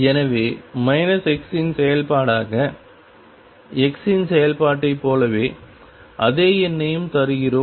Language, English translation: Tamil, So, as the function of minus x, we gives exactly same number as the function of x